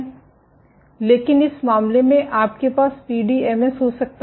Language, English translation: Hindi, But in this case, you might have the PDMS might sag